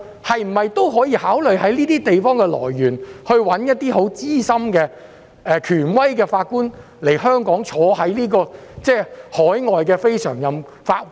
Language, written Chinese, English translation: Cantonese, 香港可否考慮在新加坡等地物色資深和權威的法官來港擔任海外非常任法官？, Can Hong Kong consider identifying experienced and authoritative judges in Singapore or other jurisdictions to sit as overseas NPJs in Hong Kong?